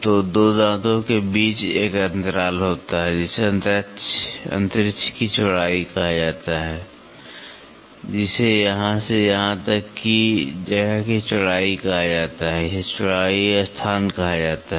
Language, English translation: Hindi, So, the between 2 teeth there is a spacing that is called as the width of space, that is called the width of space of from here to here this is called a width space